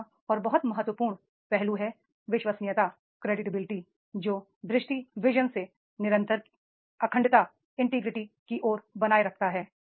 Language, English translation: Hindi, Third and very important aspect and credibility that is the integrity in carrying out vision with consistency